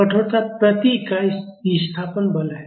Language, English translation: Hindi, Stiffness is the force per unit displacement